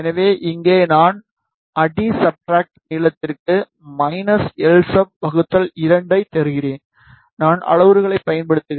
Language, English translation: Tamil, So, here I will just give minus l sub by 2 for substrate length, I am using the parameter l sub